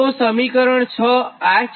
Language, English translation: Gujarati, so from equation six